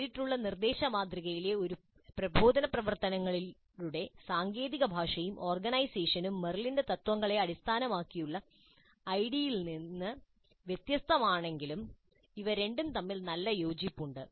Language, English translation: Malayalam, Though the terminology and organization of instructional activities in direct instruction model is different from those of the ID based on Merrill's principles, there is good correspondence between these two